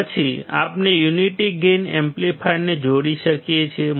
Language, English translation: Gujarati, Then we can connect the unity gain amplifier